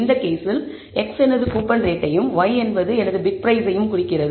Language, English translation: Tamil, In this case x refers to my coupon rate and y refers to my bid price